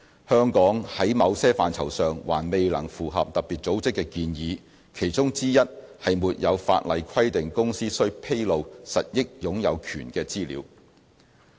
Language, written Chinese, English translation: Cantonese, 香港在某些範疇上還未能符合特別組織的建議，其中之一是沒有法例規定公司須披露實益擁有權的資料。, There are certain deficiencies with Hong Kong as against FATFs recommendations one being the absence of statutory requirements for companies to disclose their beneficial ownership information